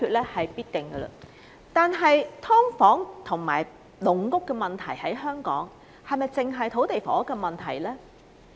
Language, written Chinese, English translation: Cantonese, 然而，本港"劏房"和"籠屋"的問題，是否單純土地及房屋問題呢？, Yet are the problems associated with subdivided units and caged homes in Hong Kong purely an issue about land and housing supply?